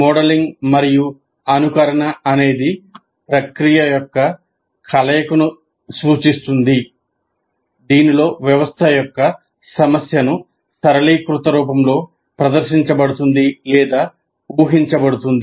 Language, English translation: Telugu, And modeling and simulation are referred to a combination of processes in which a system's behavior is demonstrated or predicted by a reductive computational representation